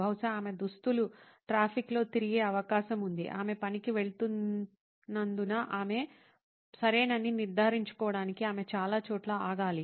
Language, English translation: Telugu, Maybe her costume has moved around in the traffic, she has to stop at several places to make sure she is okay because she is riding to work